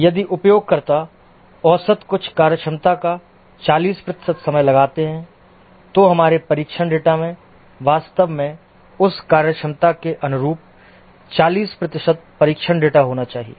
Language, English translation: Hindi, If the users on the average invoke some functionality 40% of the time, then our test data should actually have 40% test data corresponding to that functionality